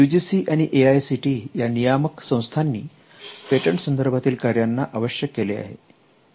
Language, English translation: Marathi, The UGC and the AICTE regulatory bodies have also mandated some kind of activity around patents for instance